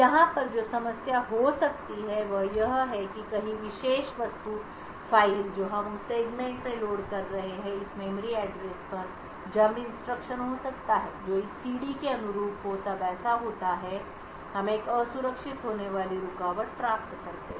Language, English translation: Hindi, The problem that could occur over here is that somewhere in the particular object file which we are loading into that segment there could be a jump instruction to this memory address corresponding to this CD such a thing happens then we obtain an interrupt which is going to be unsafe